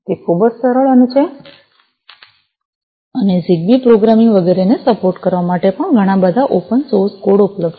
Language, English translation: Gujarati, It is very simple and there are lot of open source code available for supporting ZigBee programming and so on